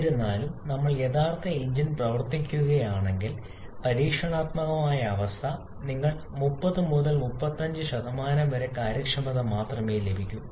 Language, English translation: Malayalam, However, if we run the actual engine in experimental condition, you are getting only efficiency of 30 to 35 %